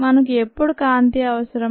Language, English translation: Telugu, when do we need light